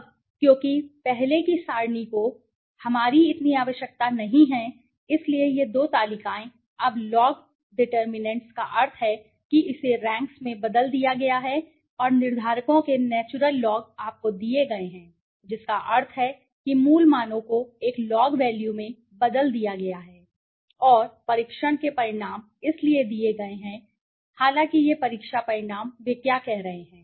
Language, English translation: Hindi, Now, because earlier table is not that requirement to us so this two tables, now log determinants means it has been converted the ranks and the natural log of the determinants are given to you that means the original values have been converted in to a log value right and the test results are given so although this test results right what they are saying